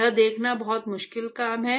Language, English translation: Hindi, See it is a very difficult thing to see